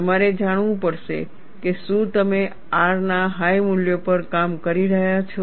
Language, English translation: Gujarati, You have to know, whether you are operating at higher values of R